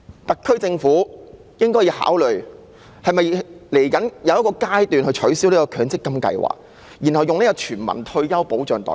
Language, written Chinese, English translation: Cantonese, 特區政府應考慮未來應否取消強積金制度，然後以全民退休保障代替。, The SAR Government should consider whether the MPF System should be abolished and replaced by a universal retirement protection system in the future